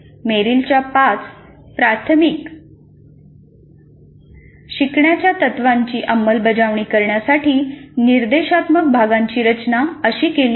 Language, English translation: Marathi, So, this is how the instructional unit is designed implementing the five learning principles of Merrill